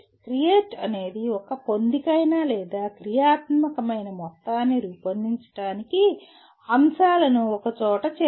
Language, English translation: Telugu, Creation is strictly involves putting elements together to form a coherent or a functional whole